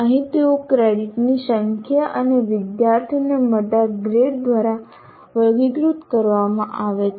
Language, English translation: Gujarati, Here they are characterized by the number of credits and the grade that a student gets